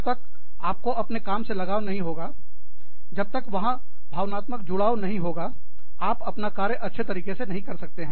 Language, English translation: Hindi, Unless, you are passionate about your job, unless, there is some emotional attachment, you cannot do your work, well